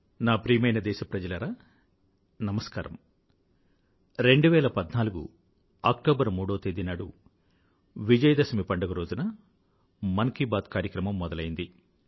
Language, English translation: Telugu, On the 3rd of October, 2014, the pious occasion of Vijayadashmi, we embarked upon a journey together through the medium of 'Mann Ki Baat'